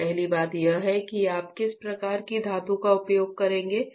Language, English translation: Hindi, So, first thing is what kind of metal you will be using, right